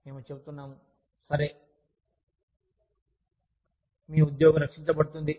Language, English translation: Telugu, we say, okay, your job will be protected